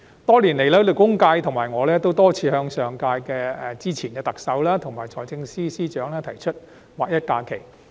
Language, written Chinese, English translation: Cantonese, 多年來，勞工界和我均多次向上屆特首和財政司司長提出劃一假期。, Over the years the labour sector and I have repeatedly proposed the alignment of the number of SHs with GHs to the former Chief Executive and the Financial Secretary